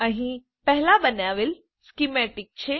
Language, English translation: Gujarati, Here is the schematic created earlier